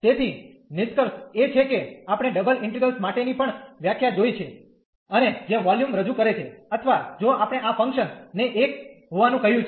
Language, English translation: Gujarati, So, the conclusion is we have seen the the definition also for the double integral and which represents the volume or if we said this function to be 1